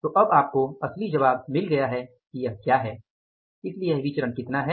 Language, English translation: Hindi, So now you got the real answer that what is this variance